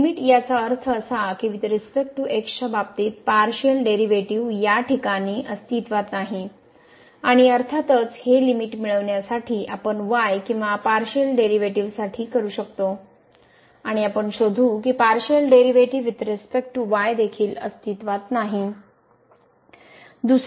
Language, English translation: Marathi, So, the limit; that means, the partial derivative with respect to does not exist in this case and obviously, the similar calculation we can do for or the partial derivative with respect to to get this limit and we will find that that the partial derivative with respect to also does not exist